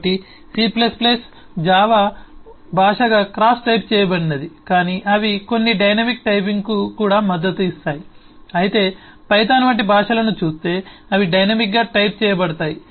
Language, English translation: Telugu, so c plus plus java, as a language, eh is crossly statically typed, but they also support some dynamic typing, whereas, eh, if you look at languages like python, they are only dynamically typed